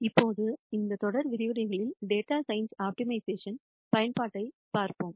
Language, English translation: Tamil, In this series of lectures now, we will look at the use of optimization for data science